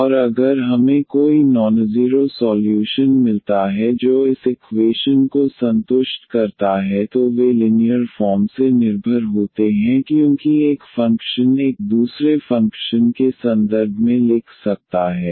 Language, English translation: Hindi, And if we get any nonzero solution which satisfy this equation then they are linearly dependent because one function 1 can write in terms of the other function